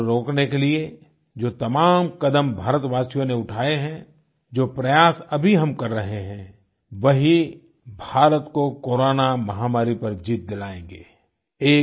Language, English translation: Hindi, The steps being taken by Indians to stop the spread of corona, the efforts that we are currently making, will ensure that India conquers this corona pandemic